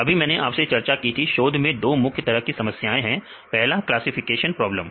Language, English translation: Hindi, So, I tell you some of these research themes I just now discussed the two different types of problems one is classification problems